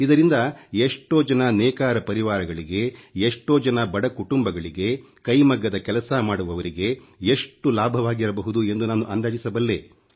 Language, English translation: Kannada, I can imagine how many weaver families, poor families, and the families working on handlooms must have benefitted from this